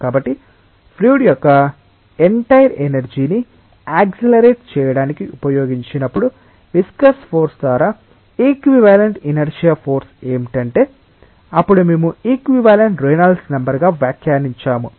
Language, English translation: Telugu, So, when the entire energy of the fluid was utilized to accelerate it, what would have been that equivalent inertia force that by viscous force would still then we interpreted as an equivalent Reynolds number